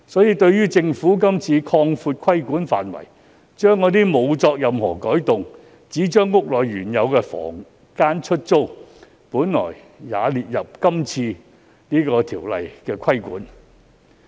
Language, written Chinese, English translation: Cantonese, 然而，政府今次卻擴闊規管範圍，把原本沒有作任何改動而只是將原有房間出租的行為也納入《條例草案》的規管。, However the Government has extended the scope of regulation under the Bill to cover the act of renting out original rooms without altering the building plan